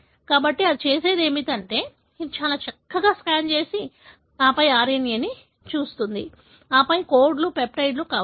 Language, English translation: Telugu, So, what it does is, it pretty much scans and then looks at the RNA and then codes for, may be a peptide